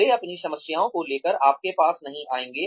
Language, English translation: Hindi, They will not come to you, with their problems